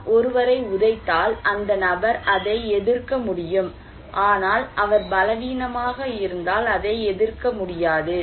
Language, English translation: Tamil, If I kick someone, then somebody can resist it, somebody cannot resist it because he is weak